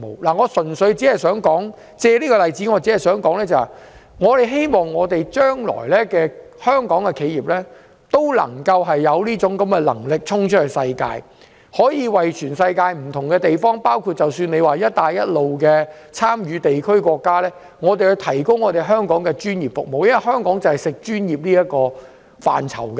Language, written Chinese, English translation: Cantonese, 我只是想借此例子指出，希望香港的企業日後有能力衝出世界，為全世界不同地方，包括"一帶一路"的地區和國家，提供專業服務，因為香港以專業服務見稱。, I give this example to say that I wish to see more Hong Kong enterprises going global in the future to provide renowned professional services in different parts of the world including the Belt and Road regions and countries